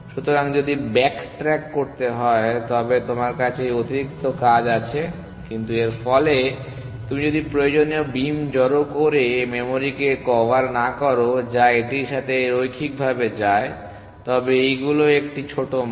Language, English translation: Bengali, you have this extra work, but as a result of this if you do not covered to the memory required by the beam stack which goes linearly with it, but these a small value